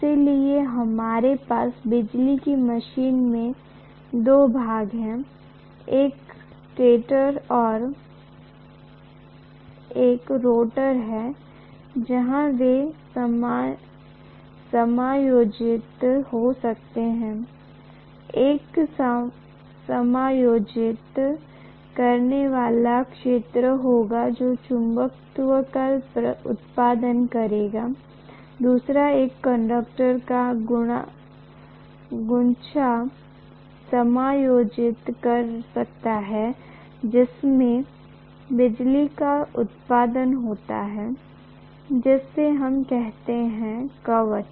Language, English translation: Hindi, So we have stator and rotor are the 2 portions in an electrical machine where they may be accommodating, one will be accommodating field which will produce magnetism, the other one may be accommodating the bunch of conductors in which electricity is produced which we call as armature